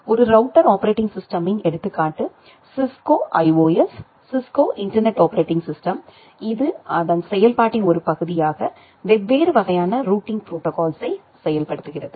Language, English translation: Tamil, An example of a router OS is the Cisco IOS, Cisco internet operating system which implements different kind of routing protocol as a part of its operating system